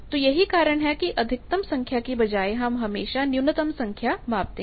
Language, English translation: Hindi, So, that is why instead of maxima we always measure the minima points